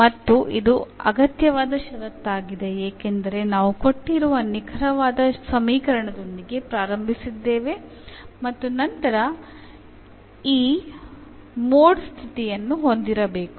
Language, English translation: Kannada, And this is the necessary condition because we have a started with that the given equation is exact and then we got that this mod condition must hold